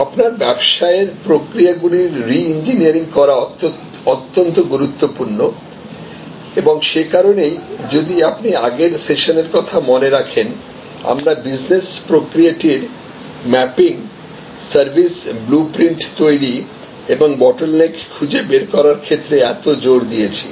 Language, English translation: Bengali, So, reengineering of your business processes is very important and that is why if you remember in our earlier sessions we led so much emphasis on mapping the business process, creating the service blue print and finding the bottlenecks